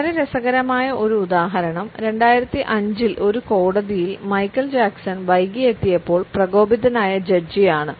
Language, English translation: Malayalam, A very interesting example is that of Michael Jackson, who angered the judge when he arrived late in one of the courts in 2005